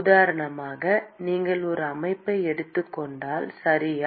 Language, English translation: Tamil, So, for example, if you take a system, okay